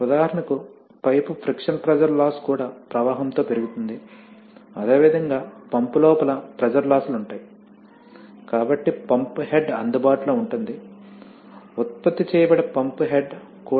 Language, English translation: Telugu, So for example, the pipe friction pressure loss will also rise with flow, similarly if the pump head because there are pressure losses inside the pump, so the pump head available, the pump head that will be generated will also be, will also be lower